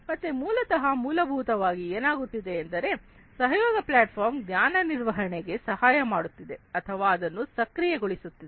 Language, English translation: Kannada, So, basically what is happening essentially is this collaboration platform is helping or, enabling knowledge management, it is enabling knowledge management